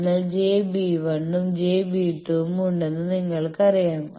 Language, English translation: Malayalam, So, you know there are j b 1 and j b two